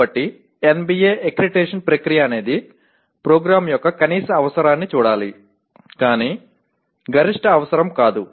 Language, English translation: Telugu, So NBA accreditation process should be seen as looking at the minimum requirement of a program, not the maximum requirement